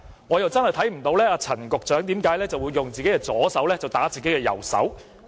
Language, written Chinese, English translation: Cantonese, 我真的看不到為何陳局長會用自己的左手打自己的右手。, I really fail to see why Secretary Frank CHAN will hit his right hand with his left hand